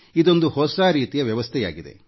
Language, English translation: Kannada, This is a great new system